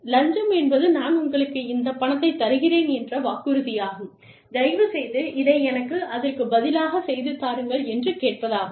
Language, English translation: Tamil, A bribe is a promise, that i am giving you this money, please do this for me, in return